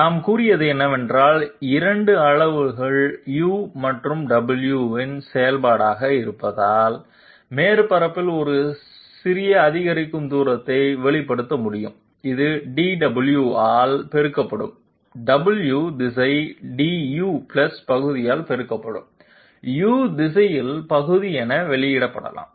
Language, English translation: Tamil, What we have said is that a small incremental distance on the surface can be expressed since it is function of 2 parameters U and W, it can be expressed as partial in the U direction multiplied by du + partial in the W direction multiplied by dw